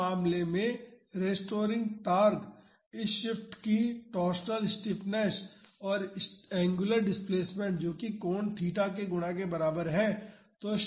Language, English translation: Hindi, In this case the restoring torque is equal to the torsional stiffness of this shaft multiplied by the angular displacement that is this angle theta